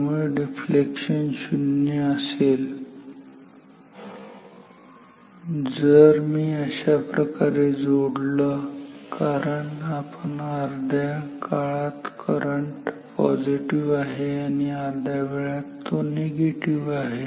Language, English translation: Marathi, So, the deflection will be 0, if I connect it like this because half of the times current is positive half of the times it is negative